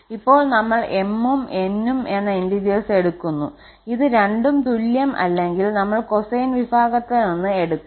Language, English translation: Malayalam, So, we will take now for any integer m and n, when these two are not equal that means first for the cosine family we will take